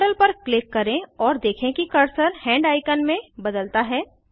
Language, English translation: Hindi, Click on the model and Observe that the cursor changes to a hand icon